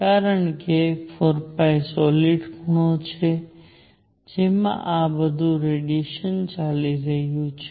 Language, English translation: Gujarati, Because 4 pi is the solid angle into which radiation all this is going